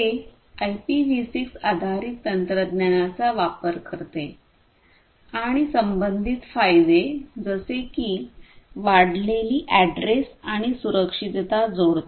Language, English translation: Marathi, It uses the IPv6 based technology and adds the associated benefits such as increased address space and security